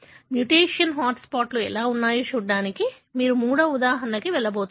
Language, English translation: Telugu, You are going to go to the third example as to how, you have mutation hot spots